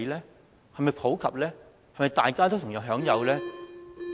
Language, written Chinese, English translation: Cantonese, 這是否普及，是否大家都同樣享有呢？, Is it universal to the effect that all industries can enjoy the benefits?